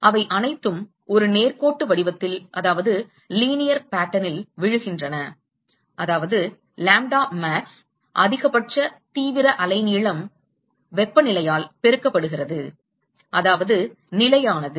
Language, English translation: Tamil, They all fall into a linear pattern, that is, the lambda max which is the maximum intensity wavelength multiplied by temperature so, that is at constant